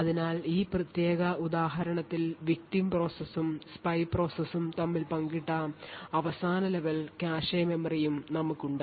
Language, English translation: Malayalam, So in this particular example we have the last level cache memory shared between the victim process and the spy process